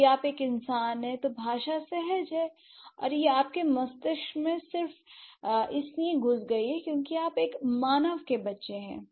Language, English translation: Hindi, If you are a human language has been innate and it has been inbuilt into your brain just because you are a human child